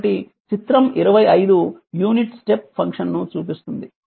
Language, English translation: Telugu, So, figure 25 shows the unit step function I will show you the figure